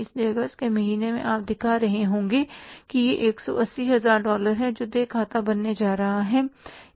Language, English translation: Hindi, So in the month of August you will be showing that is the $180,000